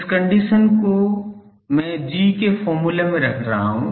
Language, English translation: Hindi, This condition I am putting in the G formula